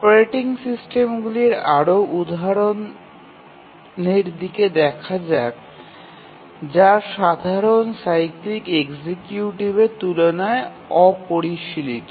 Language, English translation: Bengali, So, now let's look at more examples of operating systems which are sophisticated compared to the simple cyclic executive